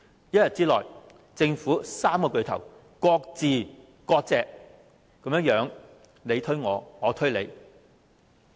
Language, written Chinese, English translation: Cantonese, 一天之內，政府三大巨頭分別"割席"，互相推搪責任。, In a single day the top three government officials cut ties with one another as each of them tried to shirk responsibility